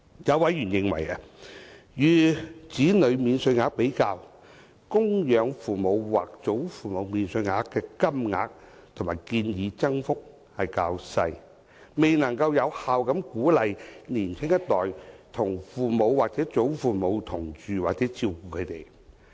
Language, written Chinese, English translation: Cantonese, 有委員認為，與子女免稅額比較，供養父母或祖父母免稅額的金額和建議增幅較小，未能有效鼓勵年輕一代與父母或祖父母同住或照顧他們。, A member considers that the amount of dependent parent or grandparent allowances and the extent of the proposed increases are small compared with those of child allowances thus failing to effectively encourage the younger generation to live with or take care of their parents or grandparents